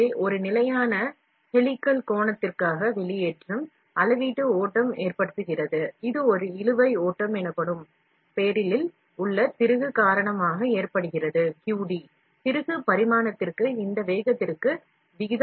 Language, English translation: Tamil, So, the extrusion for a constant helical angle, the volumetric flow causes, caused by the screw in the barrel known as a drag flow, QD is proportional to the screw dimension and this speed